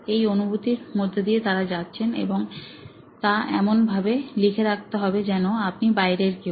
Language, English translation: Bengali, This is what they are going through and write down and note down as if you are that external